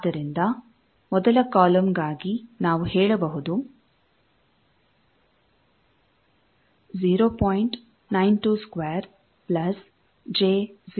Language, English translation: Kannada, So, for the first column we can say 0